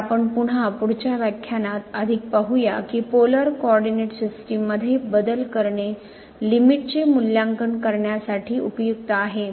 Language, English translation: Marathi, So, one again we will see more in the next lecture that changing to the Polar coordinate is helpful for evaluating the limit